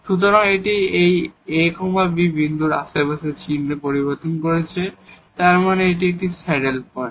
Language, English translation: Bengali, So, it is changing sign in the neighborhood of this ab point and; that means, this is a saddle point